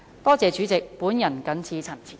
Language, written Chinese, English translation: Cantonese, 多謝主席，我謹此陳辭。, Thank you President . I so submit